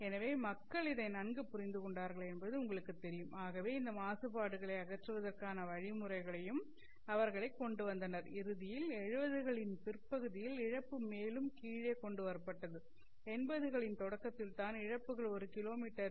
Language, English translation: Tamil, So it was, you know, people understood it very well and therefore they also came up with methods to remove this contaminations and eventually brought down by the late 70s, you know, just about start of the 80s, the losses were brought down to 0